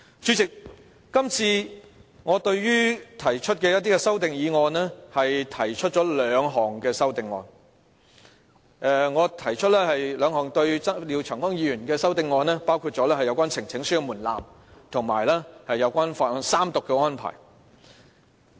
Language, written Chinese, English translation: Cantonese, 主席，我今次就廖長江議員提出的一些修訂決議案提出了兩項修正案，包括有關呈請書的門檻，以及法案三讀的安排。, President I have moved two amendments to Mr Martin LIAOs resolution including the threshold for supporting a petition to stand and the procedure of Third Reading